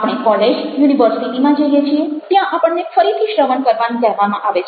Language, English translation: Gujarati, we go to colleges, universities, where we are again ask to listen